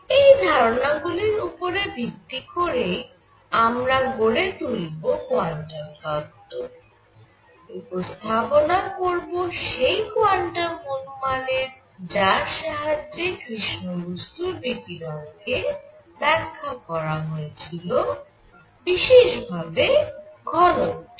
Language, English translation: Bengali, These are ideas that will be used then to develop the concept of quantum; introduction of quantum hypothesis explaining the black body radiation as specifically density